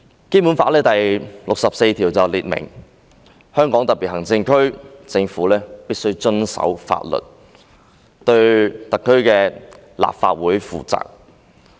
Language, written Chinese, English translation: Cantonese, 《基本法》第六十四條訂明，香港特別行政區政府必須遵守法律，對香港特別行政區立法會負責。, Article 64 of the Basic Law stipulates that the Government of the Hong Kong Special Administrative Region must abide by the law and be accountable to the Legislative Council of the Region